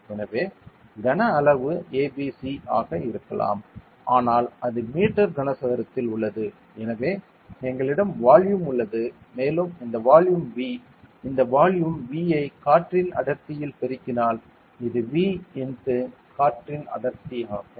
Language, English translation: Tamil, So, the volume can be a b c saying it is in meter cube though so we have the volume and if we multiply this volume V into the density of air